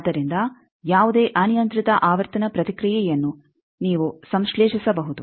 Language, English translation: Kannada, So, any arbitrary frequency response you can synthesize